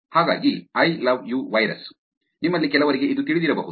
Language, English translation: Kannada, So, I love you virus, some of you may know this